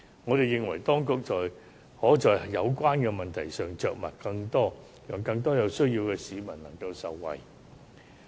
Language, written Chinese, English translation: Cantonese, 我們認為，當局可在有關的問題上着墨更多，讓更多有需要的市民能夠受惠。, We think that the authorities can do more on the problem concerned so as to benefit more people in need